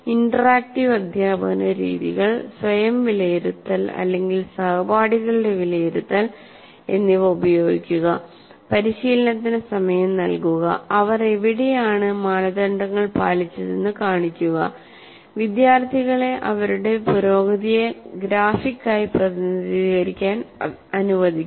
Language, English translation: Malayalam, Use interactive teaching methods, self and peer assessment, give time for practice, get students to show where they have met the criteria, get students to represent their progress graphically